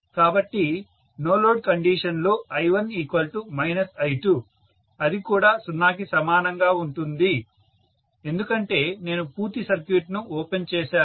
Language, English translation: Telugu, So under no load condition I1 equal to minus I2 which is also equal to 0, because I have opened up the complete circuit